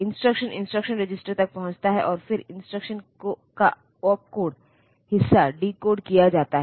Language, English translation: Hindi, So, the instruction reaches the instruction register, and then this instruction register the opcode part of the instruction so, it is decoded